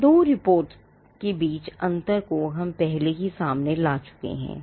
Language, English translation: Hindi, We had already brought out the distinction between these 2 reports